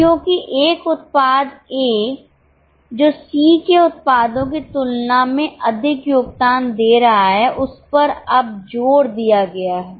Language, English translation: Hindi, Because a product A which is having more contribution than product C has been now emphasized